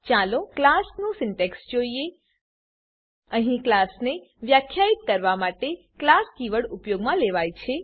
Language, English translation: Gujarati, Now let us see the syntax for a class Here, class is a keyword used to define a class